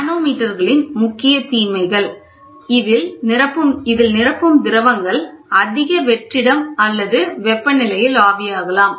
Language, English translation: Tamil, The main disadvantage of manometer is the filling fluid may vaporize at high vacuum or temperature